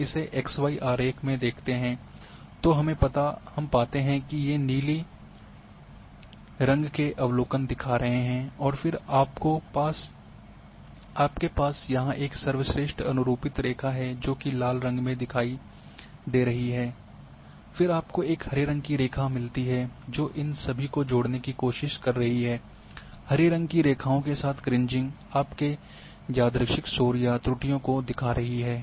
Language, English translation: Hindi, We see in this xy plot what do we find that these blue dots are the showing the observations and then you are having a best fit line here which is shown in red, then you are getting a green line which is connecting trying to connect all these points and these Kriging along the green lines are showing your random noise or errors